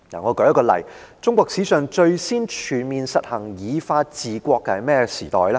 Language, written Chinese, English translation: Cantonese, 我舉一個例，中國史上最先全面實行以法治國的是甚麼時代呢？, Let me cite an example . Which period in Chinese history was the first to comprehensively practise the rule by law? . It was the Qin state